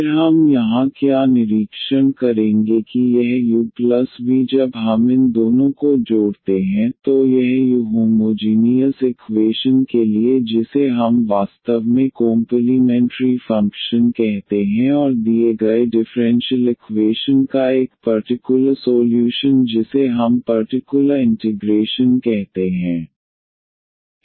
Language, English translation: Hindi, Then what we will observe here that this u plus v when we add these two, so this u the for the homogeneous equation which we call actually the complimentary function and a particular solution of the given differential equation we call the particular integral